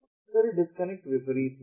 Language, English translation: Hindi, then the disconnect is the opposite